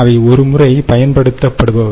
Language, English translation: Tamil, i mean they just one time use